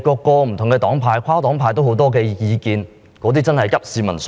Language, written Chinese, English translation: Cantonese, 不同黨派及跨黨派對此有很多意見，真的是急市民所急。, Different parties and groupings have a lot of opinions in this connection and they really want to address peoples pressing needs